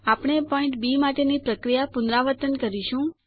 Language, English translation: Gujarati, We repeat the process for the point B